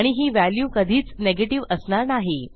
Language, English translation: Marathi, And this will never be a negative value